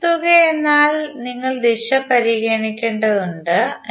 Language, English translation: Malayalam, Phasor sum means you have to consider the direction